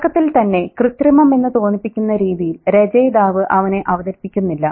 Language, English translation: Malayalam, He is not introduced right at the beginning quite artificially by the writer